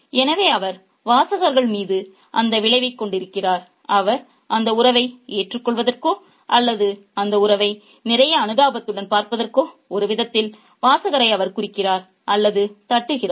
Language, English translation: Tamil, He kind of hints or not just the reader in such a way that they tend to accept that relationship or look at that relationship with a lot of sympathy